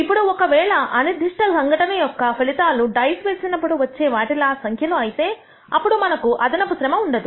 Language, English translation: Telugu, Now, if the outcomes of random phenomena are already numbers such as the true of a dice, then we do not need to do this extra e ort